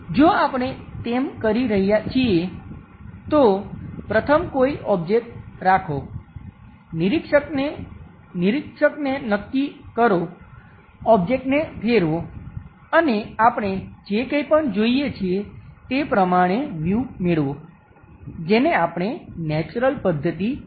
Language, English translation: Gujarati, If we are doing that, first keep an object, fix the observer, rotate the object, the views whatever we are going to get, that is what we call natural method